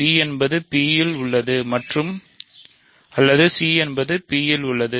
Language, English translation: Tamil, So, b is in P or c is in P